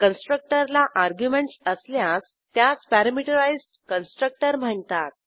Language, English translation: Marathi, The constructor that has arguments is called parameterized constructor